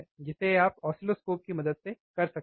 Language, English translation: Hindi, That you can do by taking help of the oscilloscope